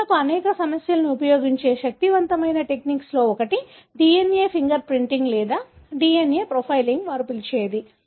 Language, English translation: Telugu, One of the powerful techniques that people use for many issues is DNA finger printing or DNA profiling, what they call